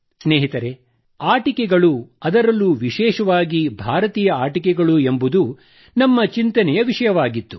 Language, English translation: Kannada, Friends, the subject that we contemplated over was toys and especially Indian toys